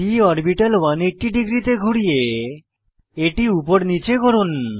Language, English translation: Bengali, Rotate the p orbital to 180 degree to flip it upside down